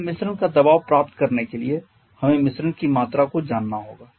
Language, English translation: Hindi, We need to know the mixture volume